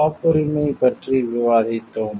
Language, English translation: Tamil, We have discussed about patent